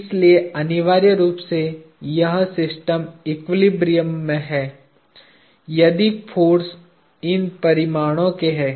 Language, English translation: Hindi, So, essentially this system is in equilibrium, if the forces are of these magnitudes